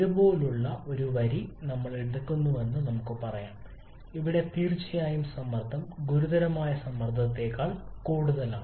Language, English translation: Malayalam, Let us say we pick up a line like this yeah that definitely the pressure is higher than the critical pressure